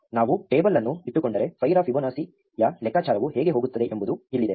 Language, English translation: Kannada, Here is how a computation of Fibonacci of 5 would go, if we keep a table